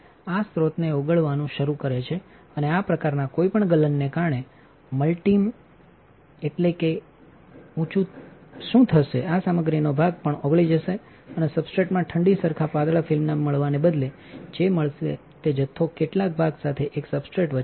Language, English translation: Gujarati, This is start melting these source and any such melting because multi means so, high what will happen the chunk of this material will also get melt and in the substrate instead of having a cools uniform thin film what will get is, a substrate with some chunk in between